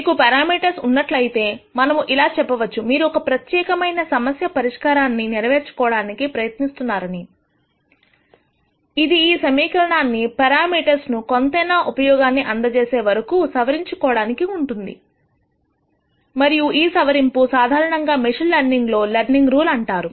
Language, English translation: Telugu, So, when you have parameters let us say that you are trying to learn for a particular problem this keeps adjusting this equation keeps adjusting the parameters till it serves some purpose and this adjustment is usually called the learning rule in machine learning